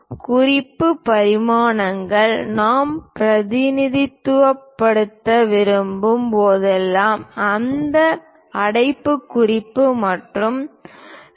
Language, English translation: Tamil, Whenever, we would like to represents reference dimensions we use that parenthesis and 2